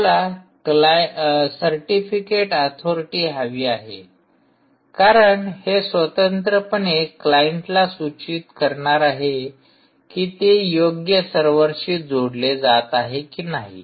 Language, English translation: Marathi, you want this certificate authority because it is independently going to inform the client whether the server is connecting, is indeed the right server or not